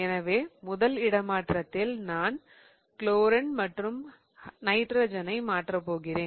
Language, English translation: Tamil, So, in my first swap, I'm going to swap chlorine and nitrogen